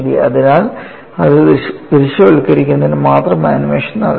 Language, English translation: Malayalam, So, in order to visualize that aspect only the animation was done